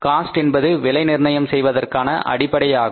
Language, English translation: Tamil, So, costing is the basis of pricing